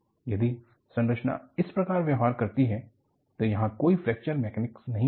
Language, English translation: Hindi, If the structure behaves like that, there would not have been any Fracture Mechanics